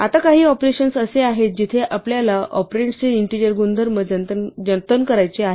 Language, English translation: Marathi, Now there are some operations where we want to preserve the integer nature of the operands